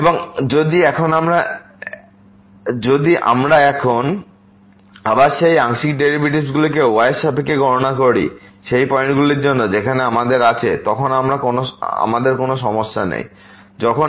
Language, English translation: Bengali, And now, if we compute now again the partial derivative of this with respect to for those points where we have we do not have any problem when is not equal to square